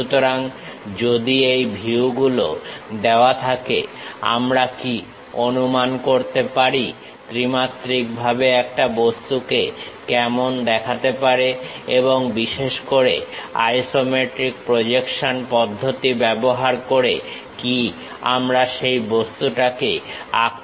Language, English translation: Bengali, So, if these views are given, can we guess how an object in three dimensions looks like and especially can we draw that object using isometric projection method